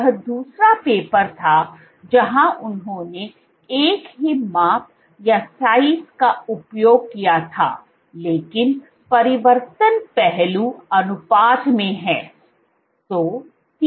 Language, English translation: Hindi, This was the other paper where they used of same size, but change is in aspect ratio